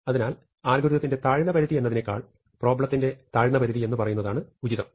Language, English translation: Malayalam, So, the problem has a lower bound rather than the algorithm has a lower bound